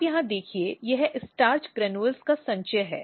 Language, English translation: Hindi, You see here this is starch granules accumulation just now I say